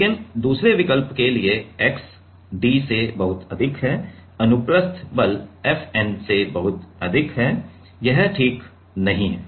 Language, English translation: Hindi, But the 2nd option for x very very greater than d, the transverse force is very very greater than FN, this is not right ok